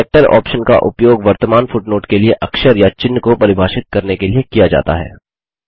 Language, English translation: Hindi, The Character option is used to define a character or symbol for the current footnote